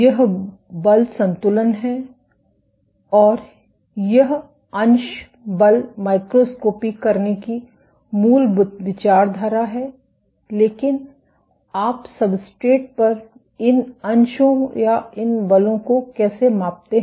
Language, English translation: Hindi, This is the force balance and this is the basic ideology of doing fraction force microscopy, but how do you measure these fractions or these forces on the substrate